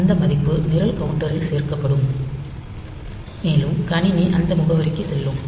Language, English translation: Tamil, So, that value will be added to the program counter, and the system will jump to that address